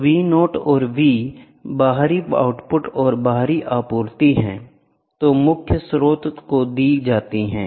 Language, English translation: Hindi, So, V naught and V external are the output and external supply which is given to the principal